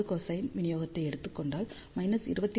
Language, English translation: Tamil, 4, if we take cosine distribution minus 23